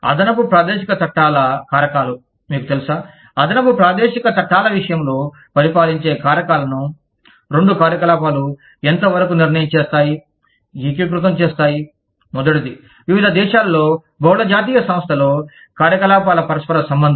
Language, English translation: Telugu, Extra territorial laws are factors, you know, in the case of extra territorial laws, the factors that govern, the extent to which, two operations are determined, to be integrated are, the first one is, interrelationship of the operations, in different countries, in a multi national enterprise